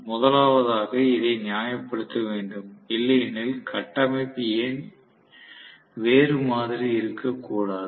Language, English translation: Tamil, First of all, will have to kind of justify this, otherwise, why should the structure be the other way round